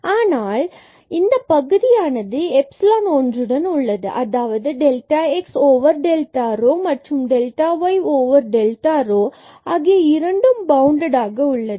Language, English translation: Tamil, But we have to make sure that this term here sitting with epsilon 1 that is delta x over delta rho and delta y over delta rho, they both are bounded